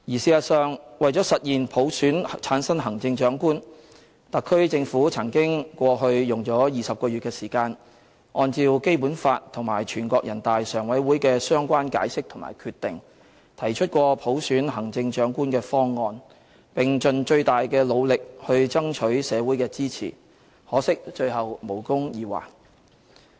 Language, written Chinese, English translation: Cantonese, 事實上，為了實現普選產生行政長官，特區政府過去曾經用了20個月的時間，按照《基本法》和全國人大常委會的相關解釋和決定，提出過普選行政長官的方案，並盡最大努力爭取社會的支持，可惜最後無功而還。, As a matter of fact in order to achieve the goal of selecting the Chief Executive by universal suffrage the SAR Government has spent 20 months previously to put forward its universal suffrage proposals for the selection of the Chief Executive in accordance with the Basic Law and the relevant interpretations and decisions by NPCSC . It has tried its best to solicit social support for its proposals but regrettably all its efforts ended in vain